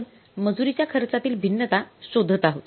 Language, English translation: Marathi, So let us go for the labor cost variance